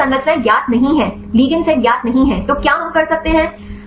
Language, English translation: Hindi, But if structures are not known, ligand sets are not known then can we a do right